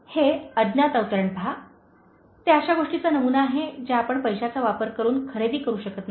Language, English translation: Marathi, Look at this unknown quote, that typifies things which you cannot buy using money